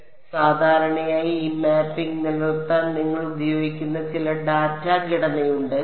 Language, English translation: Malayalam, So, typically there is some data structure that you will use to maintain this mapping